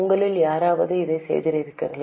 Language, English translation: Tamil, Has any one of you done it